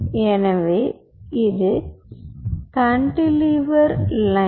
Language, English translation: Tamil, so here you have a cantilever right